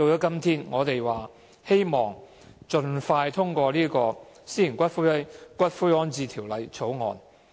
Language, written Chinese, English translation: Cantonese, 今天，我們絕對同意盡快通過《私營骨灰安置所條例草案》。, Today we absolutely support the expeditious passage of the Private Columbaria Bill the Bill